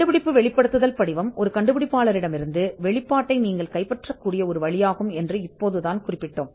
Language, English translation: Tamil, We had just mentioned that, invention disclosure form is one way in which you can capture the disclosure from an inventor